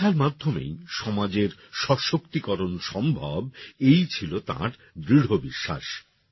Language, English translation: Bengali, She had deep faith in the empowerment of society through education